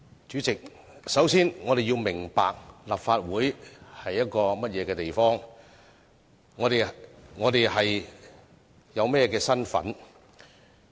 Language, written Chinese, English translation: Cantonese, 主席，我們首先要明白立法會是一個甚麼地方，我們有甚麼的身份。, President first of all we must understand what kind of a venue the Legislative Council is and what status we have